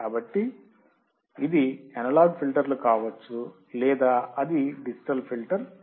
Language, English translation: Telugu, So, it can be analog filters or it can be digital filters